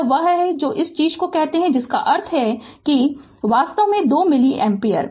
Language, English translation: Hindi, This is your what you call this thing that means that is equal to actually 2 milli ampere right